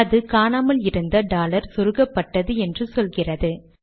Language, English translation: Tamil, It comes and says, missing dollar inserted